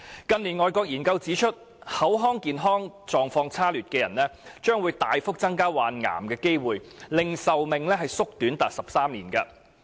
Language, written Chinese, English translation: Cantonese, 近年外國研究指出，口腔健康狀況差劣的人，患癌的機會亦會大幅增加，令壽命縮短高達13年。, Overseas studies in recent years have also shown that people with poor oral health would have a much higher chance of getting cancer and their life span could be shortened by up to 13 years